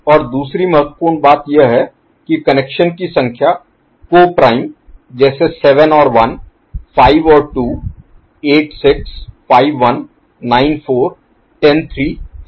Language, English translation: Hindi, And the other important thing is the tap numbers are co prime like 7 and 1, 5 and 2, 8 6 5 1, 9 4, 10 3 relatively between them, ok